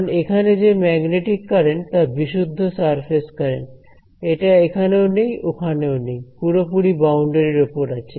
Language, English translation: Bengali, Because, there is magnetic current is on the is a pure surface current it does not it is not either here nor there is exactly on the boundary right